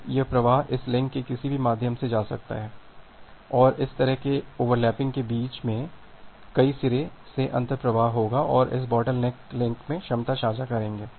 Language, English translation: Hindi, Now this flow may go through any of this link and there would be this kind of overlapping among multiple end to end flows and they will share the capacity in this bottleneck links